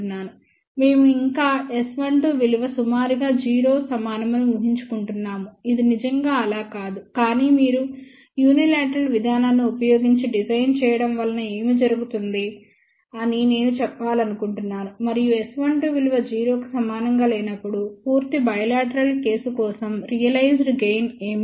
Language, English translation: Telugu, We have still assumed S 12 to be approximately equal to 0 which is not really the case, but I just want to mention what happens if you do the design using unilateral process and what is the realized gain for complete bilateral case when S 12 is not equal to 0